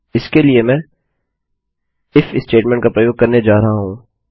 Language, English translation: Hindi, For this I am going to use an IF statement